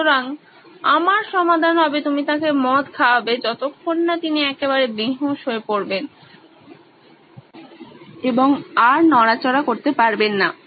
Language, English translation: Bengali, So, my solution would be you know feed him wine, till he is absolutely stoned, he is flat and he can’t move anymore